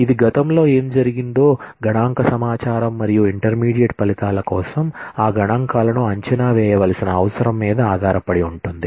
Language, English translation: Telugu, It depends on the information of what has happened in the past, the statistical information and need to estimate those statistics for intermediate results